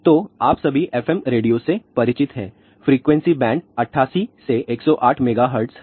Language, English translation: Hindi, So, you all are familiar with fm radio with the frequency band is 88 to 108 megahertz